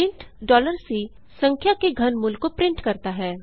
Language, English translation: Hindi, print $C prints cube root of a number